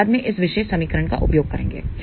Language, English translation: Hindi, We will use this particular equation later on